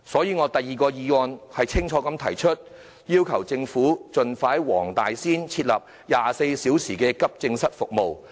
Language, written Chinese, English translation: Cantonese, 因此，我在議案的第二點清楚要求政府盡快在黃大仙區設立24小時急症室服務。, Therefore in item 2 of the motion I clearly request the Government to expeditiously introduce 24 - hour AE services in the Wong Tai Sin District